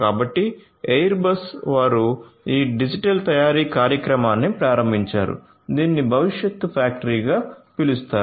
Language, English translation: Telugu, So, Airbus they launched this digital manufacturing initiative which is known as the factory of the future